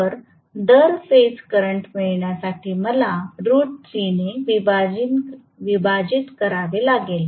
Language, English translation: Marathi, Phase voltage is going to be 2200 divided by root 3